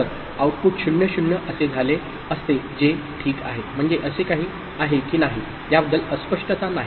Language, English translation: Marathi, So, the output would have been 0 0 which is fine, I mean as such that is nothing, no ambiguity about it